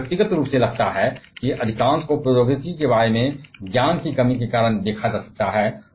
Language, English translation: Hindi, I personally feel that, most of that can be ascribed to the lack of knowledge about the technology